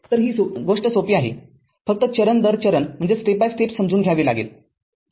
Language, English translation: Marathi, So, this simple thing very simple thing only you have to understand step by step